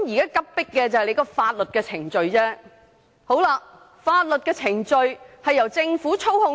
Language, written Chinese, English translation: Cantonese, 有急迫性的是法律程序，而法律程序由政府操控。, The urgency only applies to legal procedures but such procedures are controlled by the Government